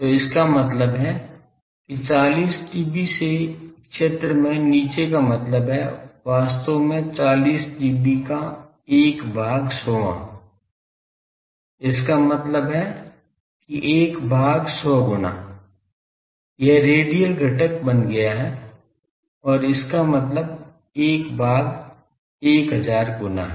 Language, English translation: Hindi, So that means, 40 dB down in field terms means actually 1 by 100th 40 dB; means 1 by 100 times it has become radial component and this means 1 by 1000 times